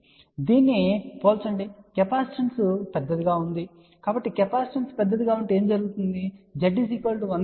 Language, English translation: Telugu, So, compare to this this capacitance is going to be large , so if the capacitance is large that means, Z equal to 1 by j omega C will be small